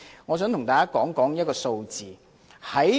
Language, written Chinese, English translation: Cantonese, 我想向大家提出一組數字。, I would like to provide Members with a set of figures